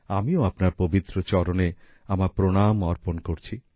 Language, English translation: Bengali, I also offer my salutations at your holy feet